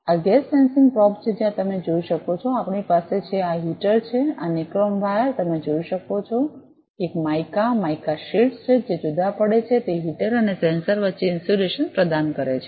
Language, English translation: Gujarati, This is a gas sensing probe, where you can see, we have, this is heater this nichrome wires, you can see with in a mica, mica sheets that is separates provides insulation between that heater and the sensor